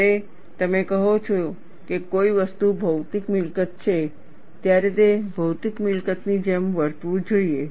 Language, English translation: Gujarati, When you say something is a material property, it should behave like a material property